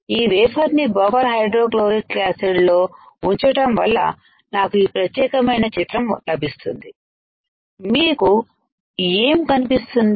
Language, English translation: Telugu, By dipping this wafer into buffer hydrofluoric acid I will get this particular image what you can see